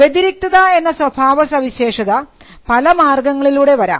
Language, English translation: Malayalam, The distinctive character can come from different means